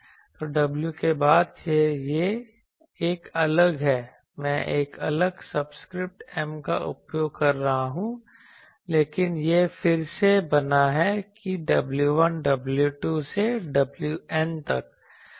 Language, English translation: Hindi, So, w since it is a different one I am using a subscript m different, but it is again is made up that w 1, w 2 up to w N